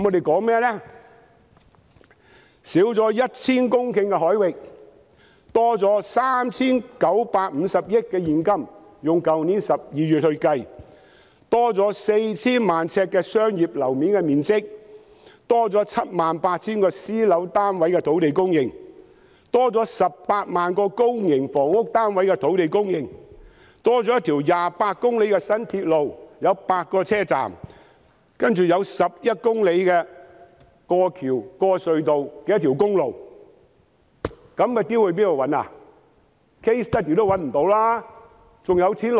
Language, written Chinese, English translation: Cantonese, 減少 1,000 公頃海域，可增加 3,950 億元現金收入，以去年12月計算，我們可增加 4,000 萬呎商業樓面面積、78,000 個私樓單位的土地供應、18萬個公營房屋單位的土地供應、一條28公里有8個車站的新鐵路，還有一條11公里過橋和經過隧道的公路。, Reduction of 1 000 hectares of the sea area can increase the cash revenue by 395 billion . According to calculations based on the figures in December last year we can have an additional commercial floor area of 40 million sq ft land supply for 78 000 private housing units land supply for 180 000 public housing units a new railway which is 28 km long consisting of eight stations and a highway 11 km long going through bridges and tunnels